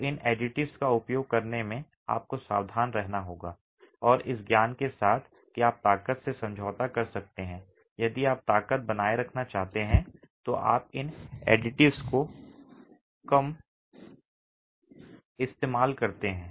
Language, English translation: Hindi, So, one has to be careful in using these additives and with the knowledge that you can compromise strength, if you want to retain strength, you use lesser of these additives